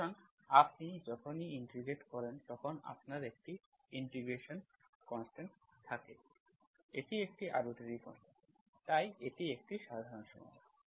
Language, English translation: Bengali, So when you integrate you have integrating constant, that is arbitrary constant, so this is general solution